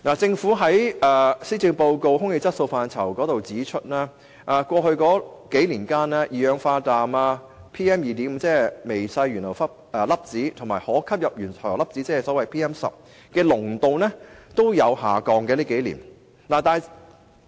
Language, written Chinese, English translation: Cantonese, 政府在施政報告有關"空氣質素"的部分指出，過去數年間，路邊二氧化氮、微細懸浮粒子及可吸入懸浮粒子的濃度皆有所下降。, As pointed out by the Government in the section entitled Air Quality in the Policy Address the concentrations of roadside nitrogen dioxide fine suspended particulates PM 2.5 and respirable suspended particulates PM 10 have dropped over the past few years